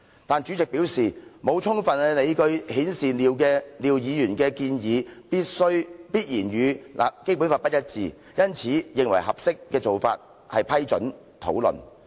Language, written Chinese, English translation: Cantonese, 但主席表示，沒有充分理據顯示廖議員的建議，必然與《基本法》不一致，因此認為合適做法是批准討論。, However the President indicated that there was no sufficient ground to show that Mr LIAOs amendment was necessarily inconsistent with the Basic Law . So he considered that the appropriate course of action was to approve a debate